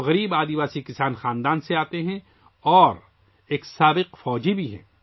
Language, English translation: Urdu, He comes from a poor tribal farmer family, and is also an exserviceman